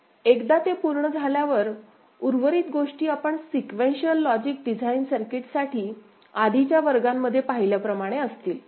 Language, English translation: Marathi, Once that is done, rest of the thing is as we have done in the earlier classes for sequential logic design circuit ok